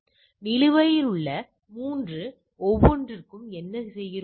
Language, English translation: Tamil, So, for each of the 3 pending, so what we are doing